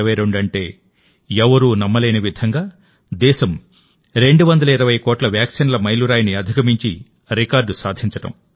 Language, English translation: Telugu, the record of India surpassing the incredible figure of 220 crore vaccines; 2022,i